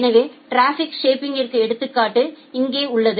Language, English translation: Tamil, So, here is the example of traffic shaping